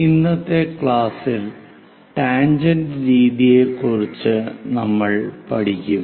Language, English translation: Malayalam, In today's class, we will learn about tangent method